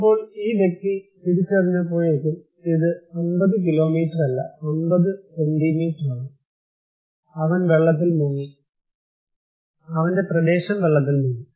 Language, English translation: Malayalam, Then, by the time this person realized, it is no more the 50 kilometre, it is 50 centimetre, he is inundated, his area is inundated